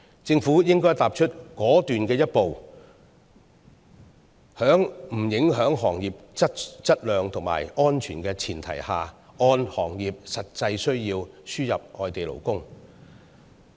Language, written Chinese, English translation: Cantonese, 政府應該踏出果斷的一步，在不影響行業質量和安全的前提下，按照行業實際需要輸入外地勞工。, The Government should take a decisive step forward to import labour according to the actual industry needs provided that both quality and safety are not compromised in the industry concerned